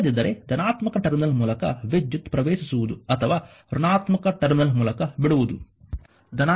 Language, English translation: Kannada, Otherwise current entering through the positive terminal or leaving through the negative terminal